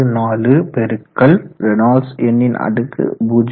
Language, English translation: Tamil, 664 Reynolds number to the power o